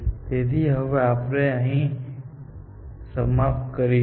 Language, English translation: Gujarati, So, we will stop here, now